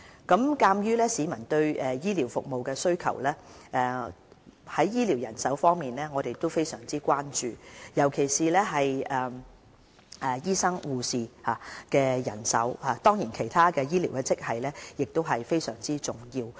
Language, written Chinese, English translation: Cantonese, 鑒於市民對醫療服務的需求，我們對醫療人手非常關注，尤其醫生和護士的人手，當然其他醫療職系的人手也十分重要。, We are highly concerned about the adequacy of health care manpower particularly the supply of doctors and nurses to meet the public demand for health care services . The manpower of other health grades is also very important though